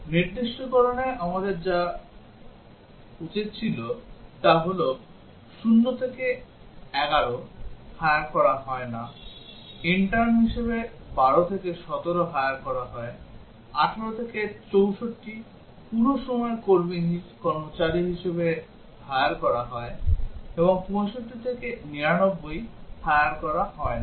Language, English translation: Bengali, What we should have done in the specification is 0 to 11 do not hire; 12 to 17 hire as intern; 18 to 64 hire as full time employee and 65 to 99 do not hire